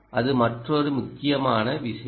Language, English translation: Tamil, that is the most important thing